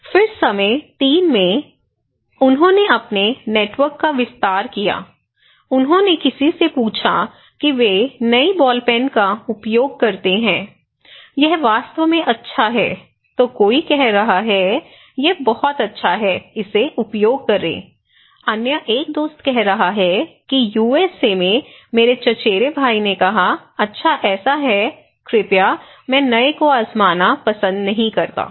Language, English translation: Hindi, Then in time 3, he expanded his network okay, he asked somebody they said use new ball pen, it is really good, then someone is saying that okay, it is damn good use it buddy, other one is saying my cousin in USA said good so, please, another one is old is gold, I do not like to try the new so, it is now discouraging okay